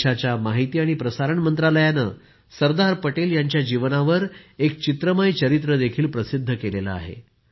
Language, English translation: Marathi, The Information and Broadcasting Ministry of the country has recently published a pictorial biography of Sardar Saheb too